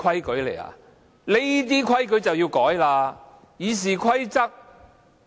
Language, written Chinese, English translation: Cantonese, 請代理主席執行《議事規則》。, Please enforce RoP Deputy President